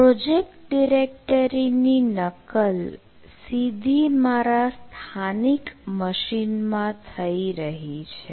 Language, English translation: Gujarati, so it is cloning the project directory into my local machine